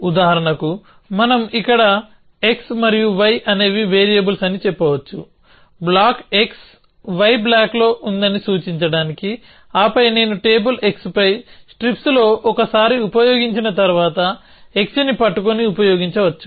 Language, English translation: Telugu, So for example, we might say on x, y where, x and y are variables to signify that block x is on block y, then we can have I use a once used in strips on table x, then holding x